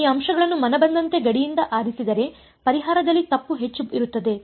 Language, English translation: Kannada, If you pick these points at random like this away from the boundary the error in the solution is high